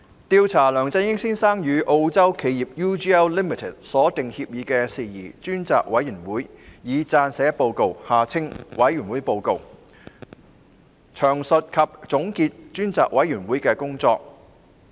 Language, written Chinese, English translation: Cantonese, 調查梁振英先生與澳洲企業 UGL Limited 所訂協議的事宜專責委員會已撰寫報告，詳述及總結專責委員會的工作。, The Select Committee to Inquire into Matters about the Agreement between Mr LEUNG Chun - ying and the Australian firm UGL Limited has prepared a report detailing and summing up the work of the Select Committee